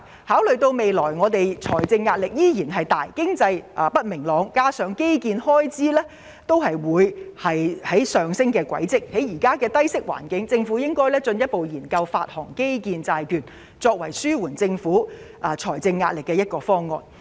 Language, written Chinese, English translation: Cantonese, 考慮到政府未來仍有巨大財政壓力，經濟亦不明朗，加上基建開支將會上升，政府應進一步研究在目前的低息環境下發行基建債券，以此作為紓緩政府財政壓力的方案之一。, Considering its huge fiscal pressure in the future economic uncertainty and rising infrastructure spending the Government should further explore the issuance of infrastructure bonds under the current low interest rate environment as a way to relieve its huge fiscal pressure